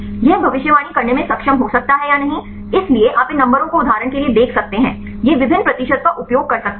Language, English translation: Hindi, Whether this can be able to predict or not, so you can see these numbers for example, it can use various percentages